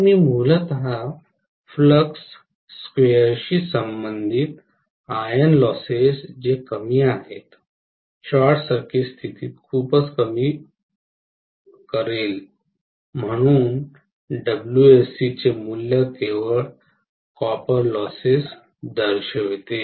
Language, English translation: Marathi, So I am going to have essentially the iron losses which are proportional to flux square approximately will be very low during short circuit condition, so the losses WSE value indicates only copper losses